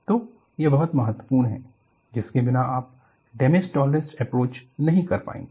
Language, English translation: Hindi, So, this is very important, without which you will not be able to do a damage tolerance approach